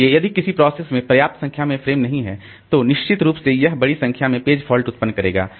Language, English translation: Hindi, So, if a process does not have sufficient number of frames then definitely it will generate large number of page faults